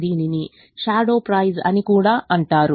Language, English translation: Telugu, it's also called shadow price